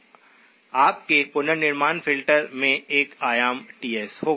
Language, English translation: Hindi, Your reconstruction filter will have an amplitude Ts